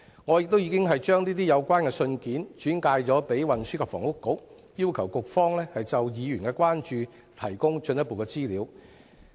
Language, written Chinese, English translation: Cantonese, 我已經把有關信件轉交運輸及房屋局，要求局方就議員的關注提供進一步的資料。, I have passed the letters to the Transport and Housing Bureau and requested the Bureau to provide further information in response to the concerns raised by Members